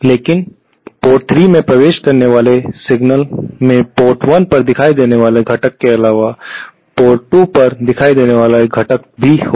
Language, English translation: Hindi, But any signal entering port 3 will also have a component appearing at port 2 in addition to the component appearing at port 1